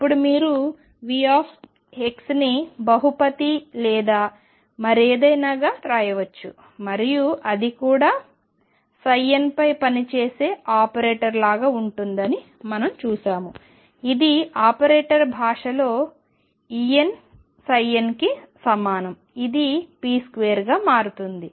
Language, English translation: Telugu, Now v x you can write as a polynomial or whatever and we saw that that also is like an operator operating on psi n is equal to E n psi n in operator language this will become this as p square